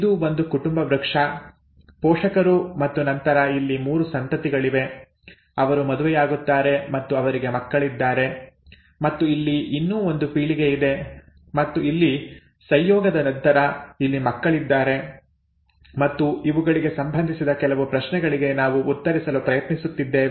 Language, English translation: Kannada, This is a a family tree parents and then the 3 offspring here, they marry and they have children and there is one more generation that is occurring here and after mating here, there are children here and we are trying to answer some questions related to these